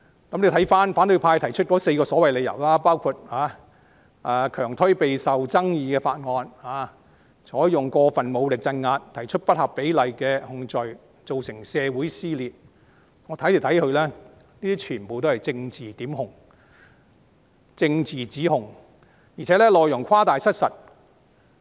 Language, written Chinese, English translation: Cantonese, 觀乎反對派提出的4個所謂理由，包括強推備受爭議的法案、採用過分武力鎮壓、提出不合比例的控罪、造成社會撕裂，不管我從哪個角度看，這些全部都是政治檢控和政治指控，而且內容誇大失實。, Looking at the four reasons so to speak put forth by the opposition camp which include unrelentingly pushing through a highly controversial bill using excessive force in crackdowns initiating disproportionate criminal charges and causing a rift in society no matter which perspective I take these reasons are in my view nothing but political prosecution and accusations with exaggerated and false content